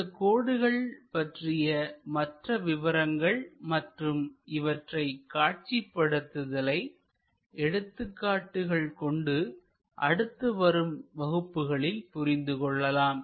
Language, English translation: Tamil, More details of these lines and their projections through examples we will learn it in the next class